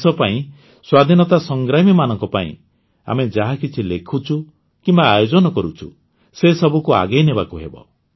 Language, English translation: Odia, For the country, for the freedom fighters, the writings and events that we have been organising, we have to carry them forward